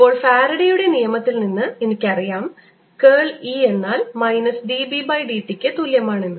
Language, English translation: Malayalam, now i know from faradays law that curl of e is equal to minus d, b, d, t